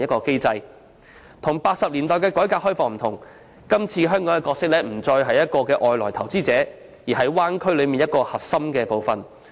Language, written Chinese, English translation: Cantonese, 與1980年代的改革開放不同，今次香港的角色不再是外來投資者，而是區內其中一個核心部分。, Unlike the opening up and reform in the 1980s Hong Kong will no longer play the role of a foreign investor this time but will become one of the core parts of the Bay Area